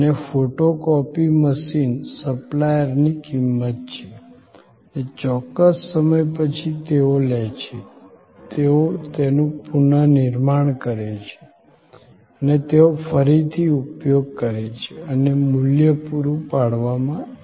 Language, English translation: Gujarati, And the photocopy machine remains the property of the supplier and after a certain time of life, they take it, they remanufacture it, and reuse it and the value is provided